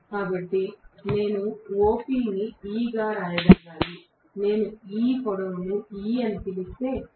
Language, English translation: Telugu, So, I should be able to write OP as whatever is E, if I call this length as E